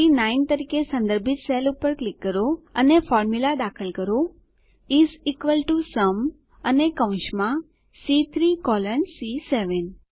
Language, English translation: Gujarati, Click on the cell referenced as C9 and enter the formula is equal to SUM and within braces C3 colon C7